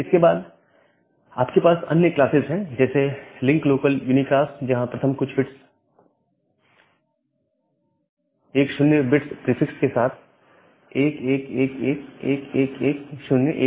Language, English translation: Hindi, Then you have other classes like, the link local unicast, where the first few bits are 1111111010 with a 10 bit prefix